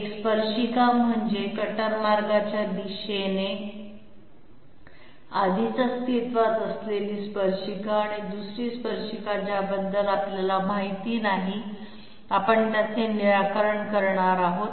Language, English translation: Marathi, One tangent is, already the existing tangent in the cutter path direction and the other tangent we do not know about it, we are going to solve for it